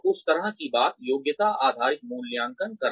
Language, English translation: Hindi, So, that kind of thing, competency based appraisals